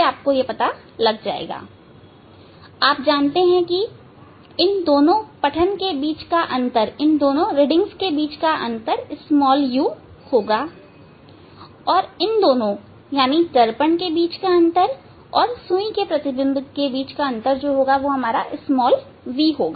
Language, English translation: Hindi, you know the reading difference between these two reading will be the u and difference between the these to mirror and these image needle so that will be the v